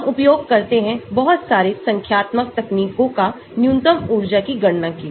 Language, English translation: Hindi, we use lot of numerical techniques to calculate the minimum energy